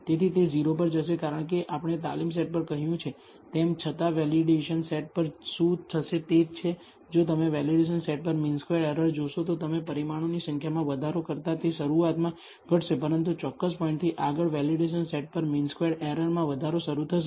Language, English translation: Gujarati, So, it will goes to a 0 as we said on the training set; however, on the validation set what will happen is, if you look at the mean squared error on the validation set, that will initially decrease as you increase the number of parameters, but beyond a certain point the mean squared error on the validation set will start increasing